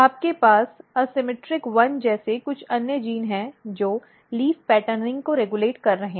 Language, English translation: Hindi, You have some other genes like ASYMMETRIC1 which is regulating the leaf patterning